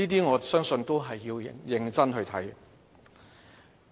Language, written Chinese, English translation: Cantonese, 我相信這些也是要認真看待的。, I think all these warrant our serious consideration